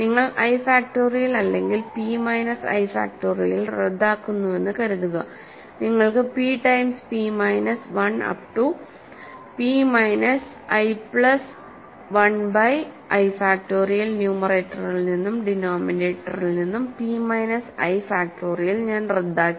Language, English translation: Malayalam, So, suppose you cancel i factorial or p minus i factorial you have p times p minus 1 up to p minus i plus 1 by i factorial, right